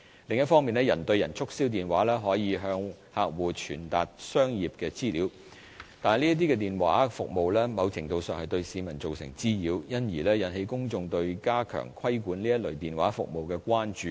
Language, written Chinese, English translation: Cantonese, 另一方面，人對人促銷電話可以向客戶傳達商業資訊，但這類電話服務某程度上對市民造成滋擾，因而引起公眾對加強規管這類電話服務的關注。, On the other hand person - to - person telemarketing calls can provide commercial information to customers but this type of telephone calls to a certain extent also causes nuisance to the public . This has given rise to public concern on the need to enforce stricter control on this type of telemarketing service